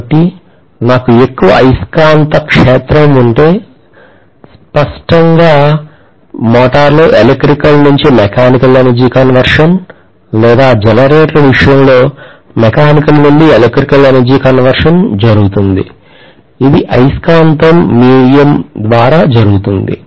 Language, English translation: Telugu, So if I have higher magnetic field, obviously the electrical to mechanical energy conversion that takes place in the case of a motor or mechanical to electrical energy conversion that takes place in the case of generator, it happens through magnetic via media